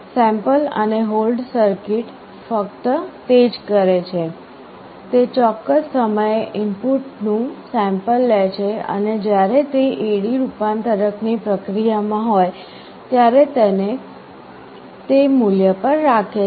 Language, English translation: Gujarati, The sample and hold circuit does just that; it samples the input at a particular time and holds it to that value while A/D conversion is in process